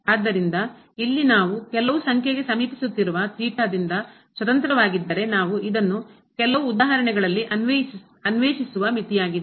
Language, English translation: Kannada, So, here if it is independent of theta we are approaching to some number then that would be the limit we will explore this in some more example